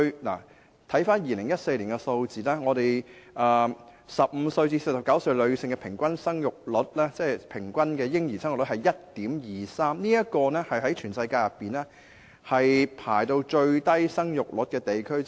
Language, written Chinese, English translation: Cantonese, 根據2014年的數字 ，15 至49歲女性的嬰兒生育率平均是 1.23 名，屬全世界其中一個生育率最低的地區。, According to the statistics in 2014 the number of children per women aged 15 - 49 is 1.23 making it one of the places with the lowest fertility rate in the world